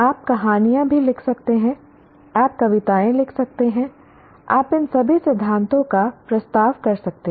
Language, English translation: Hindi, You can also write stories, you can write poems, you can propose theories, all this